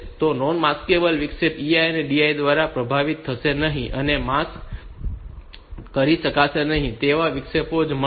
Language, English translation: Gujarati, So, non maskable interrupt will not get affected by EI and DI only the maskable interrupts will get